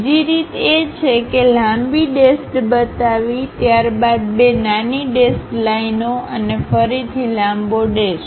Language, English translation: Gujarati, The other way is showing long dash followed by two dashed lines and again long dash